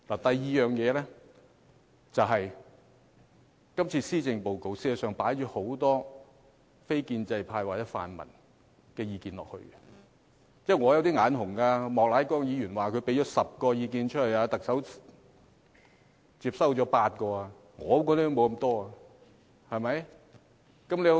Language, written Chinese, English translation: Cantonese, 第二是今次的施政報告實在放入很多非建制派或泛民的意見，這是令我有一點眼紅的，莫乃光議員說他提出了10項意見，特首接收了8項，我提出的也沒有接收得如此多。, Second the Policy Address this year has adopted many views from the non - establishment camp or the pan - democrats . I am a little jealous indeed . Mr Charles Peter MOK says that 8 out of his 10 proposals have been adopted by the Chief Executive